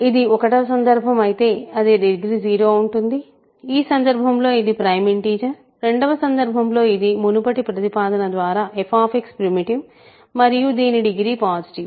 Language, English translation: Telugu, If it is in case 1, it is degree 0 in which case it is a prime integer; in case 2, it is positive degree by previous proposition f X is primitive